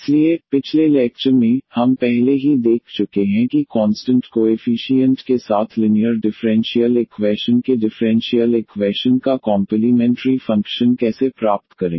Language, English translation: Hindi, So, in the last lecture, we have already seen that how to get complementary function of the differential equation of the linear differential equation with constant coefficient